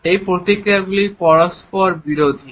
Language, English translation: Bengali, These responses are contradictory